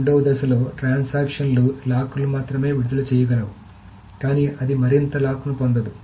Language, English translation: Telugu, In the second phase, the transactions can only release the locks but it cannot get any more locks